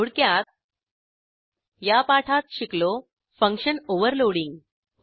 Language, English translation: Marathi, In this tutorial, we will learn, Function Overloading